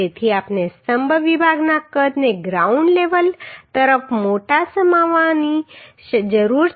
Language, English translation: Gujarati, Therefore we need to accommodate the column section size larger towards the ground ground ground level